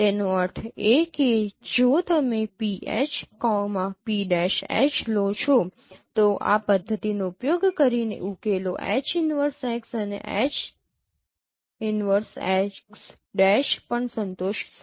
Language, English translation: Gujarati, That means if you take pH and p prime H using this method, the solutions will also satisfy H inverse x and H inverse x